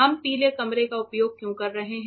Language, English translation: Hindi, Why we are using yellow room